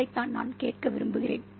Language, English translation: Tamil, Yes, that's what I want to ask